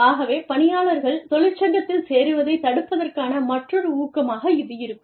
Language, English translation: Tamil, So, that is another incentive for people, to not join a union